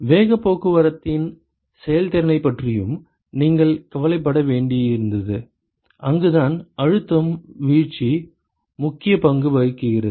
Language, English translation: Tamil, You also had to worry about the efficiency of momentum transport, that is where the pressure drop plays an important role